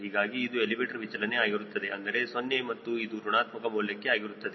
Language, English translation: Kannada, so this was for deflection of elevator, that is zero, and this is for negative values